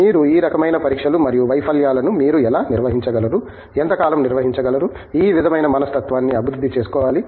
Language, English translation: Telugu, How do you handle long periods of these kinds of trials and failures that is the mindset that you need to develop